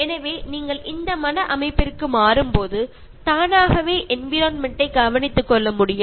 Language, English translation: Tamil, So, when you change to this mind set so automatically will be able to care for the environment